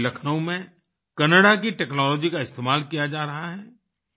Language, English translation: Hindi, Meanwhile, in Lucknow technology from Canada is being used